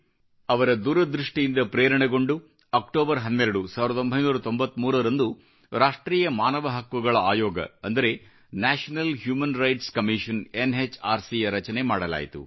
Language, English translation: Kannada, Inspired by his vision, the 'National Human Rights Commission' NHRC was formed on 12th October 1993